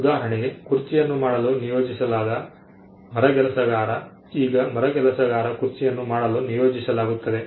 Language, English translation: Kannada, For instance, a carpenter who is assigned to make a chair; Now, the carpenter is mandated to make a chair